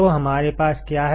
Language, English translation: Hindi, So, what is it